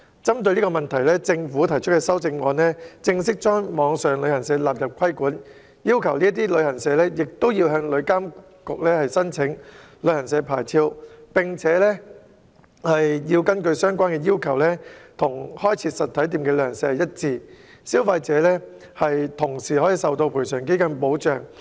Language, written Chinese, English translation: Cantonese, 針對這個問題，政府提出的修正案將網上旅行社納入規管，要求該等旅行社亦要向旅監局申請旅行社牌照，相關要求與開設實體店的旅行社一致，消費者也會受到旅遊業賠償基金的保障。, To address this problem the Government has proposed amendments to regulate online travel agents and require these travel agents to apply for travel agency licences from TIA . The relevant requirements are the same as those for travel agents setting up physical stores and consumers are also protected under the Travel Industry Compensation Fund TICF